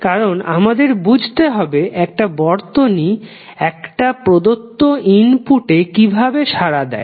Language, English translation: Bengali, Because we want to understand how does it responds to a given input